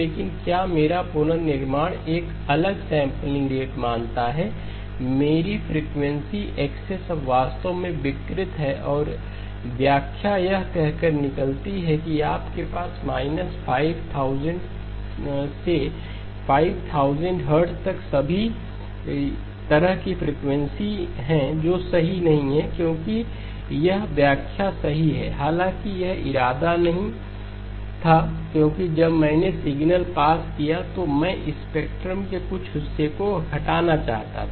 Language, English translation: Hindi, But because my reconstruction assumes a different sampling rate, my frequency axis is now actually distorted and the interpretation comes out saying that you have frequencies all the way from minus 5000 hertz to plus 5000 hertz which is not correct because it is the interpretation is correct; however, that was not the intend because when I passed the signal through I wanted to remove some portion of the spectrum